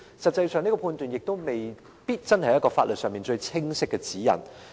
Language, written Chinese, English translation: Cantonese, 但是，這個判斷亦未必是一個法律上最清晰的指引。, The Court has made a determination which however may not be the most unequivocal legal guideline